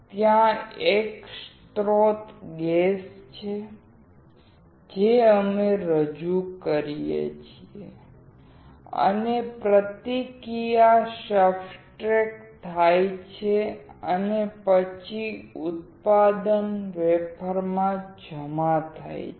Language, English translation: Gujarati, There is a source gas, which we introduce; and reaction occurs on the substrate and then the product is deposited on the wafer